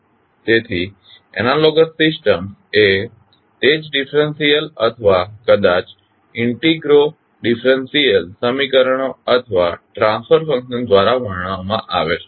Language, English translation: Gujarati, So, the analogous systems are described by the same differential or maybe integrodifferential equations or the transfer functions